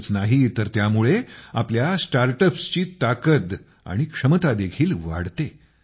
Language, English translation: Marathi, Not only that, it also enhances the strength and potential of our startups